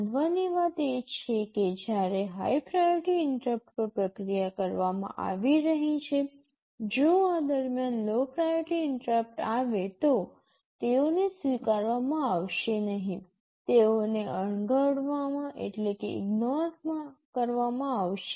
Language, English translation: Gujarati, The point to note is that when a high priority interrupt is being processed, if some lower priority interrupt comes in the meantime; they will not be acknowledged, they will be ignored